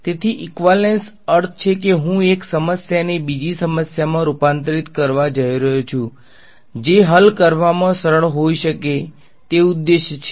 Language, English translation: Gujarati, So, equivalence means I am going to convert one problem to another kind of problem which may be easier to solve that is the objective ok